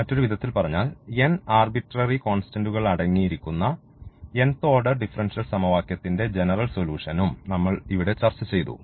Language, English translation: Malayalam, In other words what we have also discussed here the general solution of nth order differential equation which contains n arbitrary constants